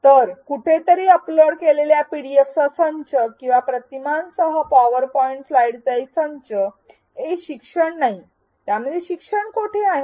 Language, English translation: Marathi, So, a set of PDFs or PowerPoint slides with images uploaded somewhere is not e learning, where is the learning in that